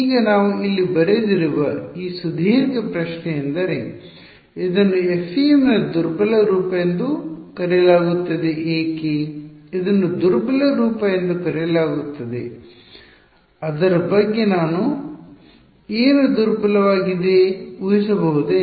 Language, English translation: Kannada, Now this longest looking question that we have written over here this is what is called the weak form of FEM why is it called the weak form any guesses what is weak about it